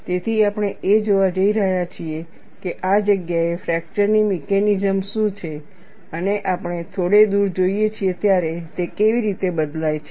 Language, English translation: Gujarati, So, we are going to look at, what is the mechanism of fracture in this place and how does it change, as we look at, a little distance away